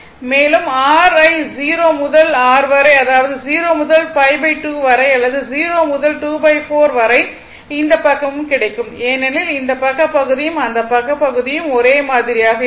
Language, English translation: Tamil, So, same you will get in between 0 to pi or 0 to T by 2 here also 0 to your what you call this is your 0 to pi by 2 or 0 to 2 by 4, this side will get because this this side area and this side area it is same